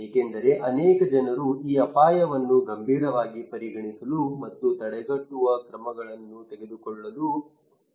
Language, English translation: Kannada, Because many people are advising me to consider this risk as serious and to take preventive actions